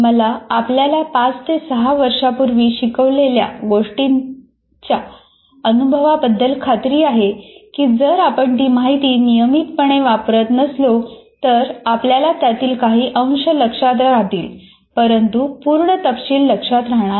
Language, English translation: Marathi, I'm sure all of us experience something that is taught to us, let us say, five years ago, six years ago, if you are not using that information regularly, you can't, maybe you will remember some trace of it, but you will not remember the details